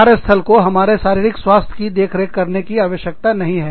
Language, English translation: Hindi, We do not need our workplace, to look after our, physical health